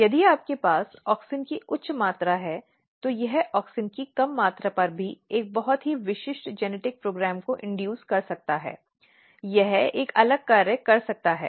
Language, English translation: Hindi, So, if you have high amount of auxin it can induce a very specific genetic program at low amount of auxin, it can perform a different function